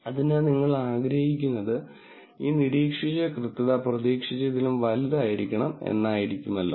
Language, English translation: Malayalam, So, what you want to have is this observed accuracy to be larger than expected accuracy